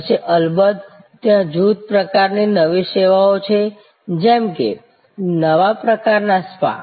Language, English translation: Gujarati, Then of course, there are batch type of new services, like a new type of spa